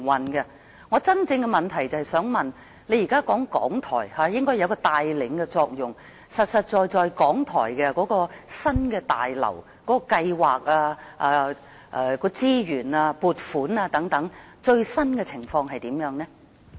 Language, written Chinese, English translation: Cantonese, 我的補充質詢是，局長現在說港台應該有一個帶領的作用，究竟港台新廣播大樓的計劃、資源及撥款等的最新情況是怎樣？, As the Secretary is now saying that RTHK should perform a leading function my supplementary question is What is the latest position regarding the proposal of constructing the new Broadcasting House of RTHK including the plan and the resources and funding allocated for this purpose?